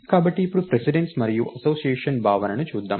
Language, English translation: Telugu, So, now lets look at the notion of a precedence and association